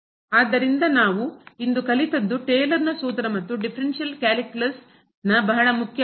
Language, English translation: Kannada, So, what we have learnt today is the Taylor’s formula and very important topic in the differential calculus